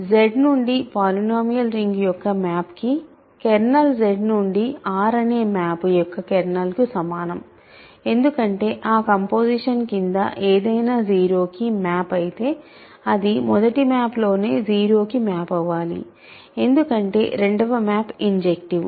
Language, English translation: Telugu, Kernel of the map from Z to the polynomial ring is equal to the kernel of the map from Z to R, because if something goes to 0 under that composition it must go to 0 in the first map itself because, it second map is injective